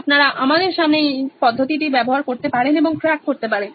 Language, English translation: Bengali, You can use the means in front of us and get cracking